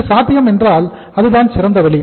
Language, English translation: Tamil, If it is possible that is the best way to do the things